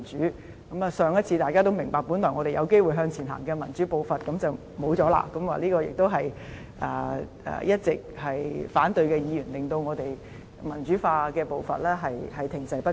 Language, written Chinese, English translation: Cantonese, 大家也明白，上次我們本來有機會讓民主步伐向前走，但就這樣落空了，也是一直反對的議員令我們民主化的步伐停滯不前。, Members all understand that last time we originally had the chance to let democracy move forward but in the end nothing came of it . It was also those Members who had all along voiced their opposition who caused democratization to come to a standstill